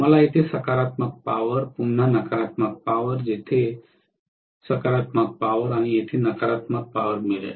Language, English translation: Marathi, I am going to get positive power here, again negative power here, positive power here and negative power here